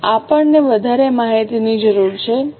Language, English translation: Gujarati, Now, we need more information